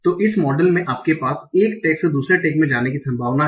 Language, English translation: Hindi, So in this model you have a probability of going from one tag to another tag